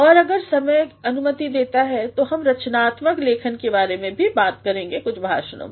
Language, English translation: Hindi, And then if time permits we shall also be talking about creative writing in some of the lectures